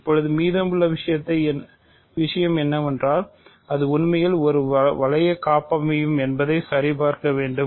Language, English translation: Tamil, Now, the remaining thing is to check that it is in fact, a ring homomorphism